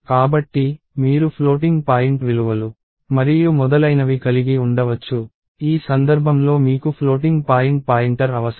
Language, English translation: Telugu, So, you could have floating point values and so on, in which case you need a floating point pointer